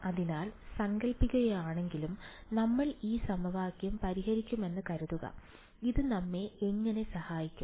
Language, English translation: Malayalam, So, supposing even if suppose, we solve this equation how will this help us